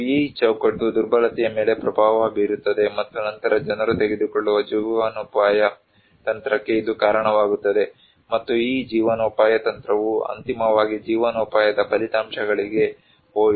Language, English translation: Kannada, And this framework also influencing the vulnerability and also then it leads to the livelihood strategy people take, and this livelihood strategy ultimately went to livelihood outcomes